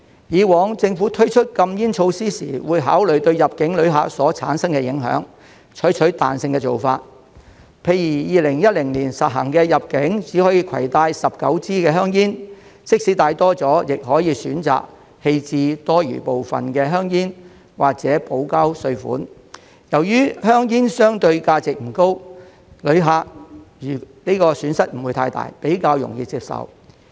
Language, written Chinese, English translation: Cantonese, 過往政府推出禁煙措施時會考慮對入境旅客所產生的影響，採取彈性的做法，例如2010年實行入境只可以攜帶19支香煙，即使多帶了，亦可以選擇棄置多餘部分的香煙或補交稅款，由於香煙相對價值不高，旅客的損失不大，比較容易接受。, In the past when launching anti - smoking measures the Government would give consideration to how incoming travellers would be affected and adopt a flexible approach . For instance in 2010 when implementing the measure of allowing only 19 cigarettes to be brought into Hong Kong even if travellers had brought in more cigarettes they could choose to dispose of the surplus ones or pay a tax for them . This was more readily acceptable to the travellers as the value of cigarettes is comparatively low and travellers would not suffer too much a loss